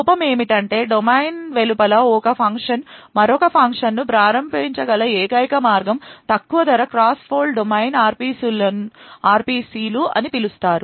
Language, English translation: Telugu, Now the only way by which a function can invoke another function outside the fault domain is through something known as a low cost cross fault domain RPCs